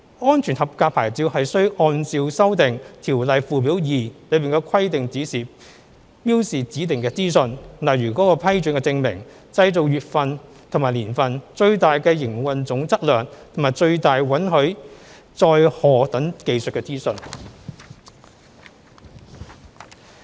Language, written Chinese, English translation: Cantonese, "安全合格牌照"需按照修訂《條例》附表2的規定標示指定的資訊，例如其批准證明、製造月份和年份、最大營運總質量及最大允許載荷等技術資訊。, Each SAP should contain a required set of information as prescribed in Schedule 2 of the Ordinance such as the proof of the approval the manufacturing date its maximum operating gross mass and maximum permissible payload and other technical data